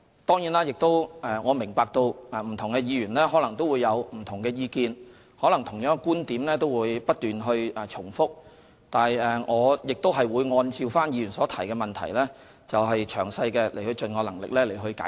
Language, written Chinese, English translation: Cantonese, 當然，我明白不同議員可能有不同的意見，可能同樣的觀點都會不斷地重複，但我亦會按照議員所提出的質詢，盡能力詳細解釋。, Of course I understand that Members may have different opinions and that they may repeat the same points time and again but I will try my best to explain my views in response to Members questions